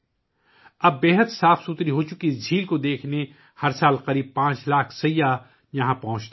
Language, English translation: Urdu, Now about 5 lakh tourists reach here every year to see this very clean lake